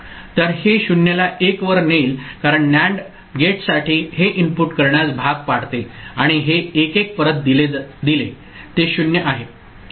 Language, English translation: Marathi, So, that will make this 0 go to 1 because for the NAND gate this is forcing input and this 1, 1 fed back it is 0